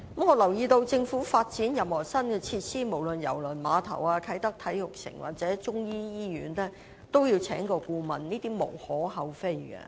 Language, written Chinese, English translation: Cantonese, 我留意到，政府發展任何新設施，無論是郵輪碼頭、啟德體育園或中醫醫院均要聘請顧問，這是無可厚非的。, I notice that the Government will always commission a consultant whenever it wants to develop new facilities such as the Kai Tak Cruise Terminal the Kai Tak Sports Park and a Chinese medicine hospital